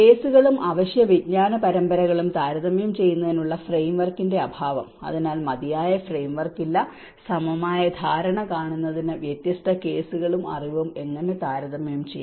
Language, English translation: Malayalam, The lack of framework to compare cases and essential knowledge series, so one has to see that there is not sufficient frameworks, how we can compare different cases and the knowledge in order to see a holistic understanding